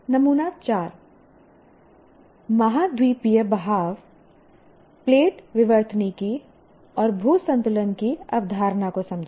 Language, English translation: Hindi, Sample 4 understand the concept of continental drift plate tectonics and isostasy